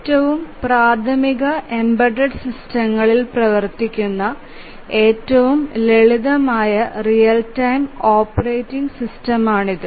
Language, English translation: Malayalam, So, this is the simplest real time operating system run on the most elementary embedded systems